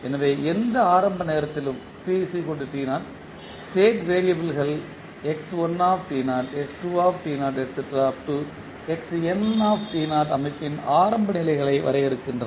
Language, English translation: Tamil, So, at any initial time that t equal to 0 the state variables that x1t naught or x2t naught define the initial states of the system